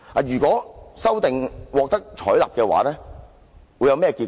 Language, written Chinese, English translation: Cantonese, 如果這項修訂獲得採納會有何結果？, What is the consequence is this amendment is passed?